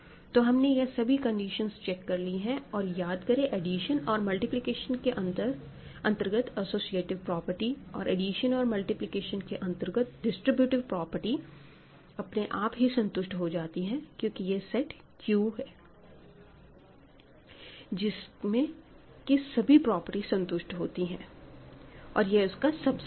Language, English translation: Hindi, So, we have checked all the condition; remember associativity of addition, multiplication, distributive property of addition, multiplication are automatically true because this is sitting inside Q which has all the required properties